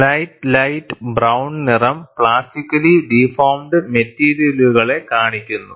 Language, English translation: Malayalam, The slight light brown color, shows a material plastically deformed